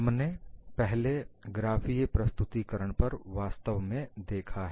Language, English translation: Hindi, We have really looked at a graphical representation earlier